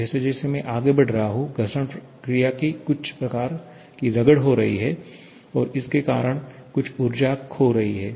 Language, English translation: Hindi, As I am moving forward there is some kind of rubbing of friction action that is taking place and because of which some energy is being lost